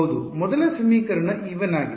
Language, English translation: Kannada, Yeah, the first equation is e 1